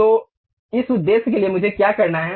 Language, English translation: Hindi, So, for that purpose, what I have to do